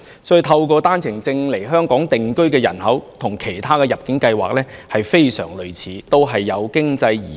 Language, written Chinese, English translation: Cantonese, 所以，透過單程證制度來香港定居的人口，跟透過其他入境計劃移居香港的人非常類似，均屬經濟移民。, Therefore people coming to Hong Kong for settlement under OWP system are very much the same as those migrating to Hong Kong under other admission schemes